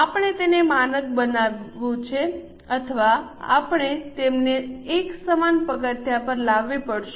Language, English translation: Gujarati, We have to standardize it or we have to bring them on equal footing